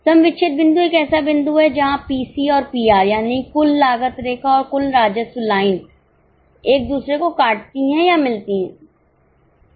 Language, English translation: Hindi, Getting it, break even point is a point where TC and TR, that is total cost line and total revenue line intersect or meet each other